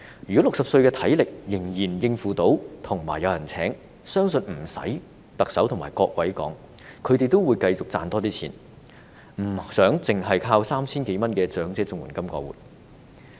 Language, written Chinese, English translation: Cantonese, 如果60歲的長者，體力仍然能夠應付，仍然有人聘用，相信不用特首和各位說，他們也會繼續多賺錢，而不想單靠 3,000 多元的長者綜援金過活。, For elderly aged 60 whose physical conditions are still fit for work if there are still people who are willing to hire them I think they need no prompting from the Chief Executive and Members and will continue to make more money rather than relying on some 3,000 in the elderly CSSA payment to make ends meet